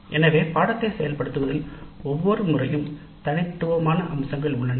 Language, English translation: Tamil, So the implementation of the course every time is unique features